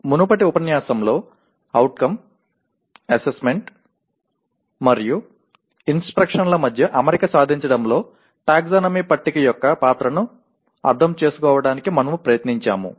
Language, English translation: Telugu, In the earlier unit we tried to understand the role of taxonomy table in attainment of alignment among Outcomes, Assessment, and Instruction